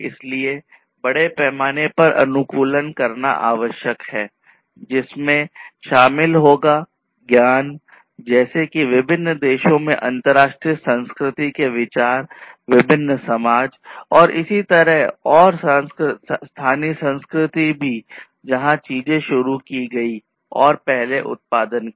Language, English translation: Hindi, So, mass customization will incorporate the knowledge including the consideration of international culture across different countries, different societies, and so on and also the local culture where things have been introduced and produced first